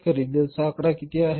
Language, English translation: Marathi, Purchase the figure is how much